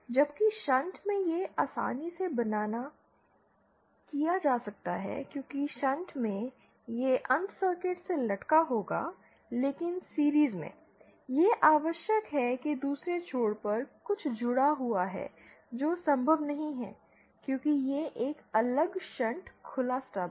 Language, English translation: Hindi, While this can be easily realised in shunt the because in shunt, this end will hang from the circuit but in series, it is necessary that something at the other end is connected which is not possible because this is an open shunt open stub